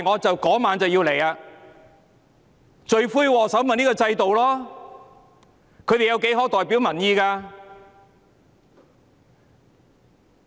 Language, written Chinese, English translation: Cantonese, 罪魁禍首是這個制度，他們何曾代表民意？, The culprit is this system . When have they ever represented public opinion?